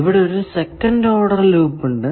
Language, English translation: Malayalam, What is the second order loop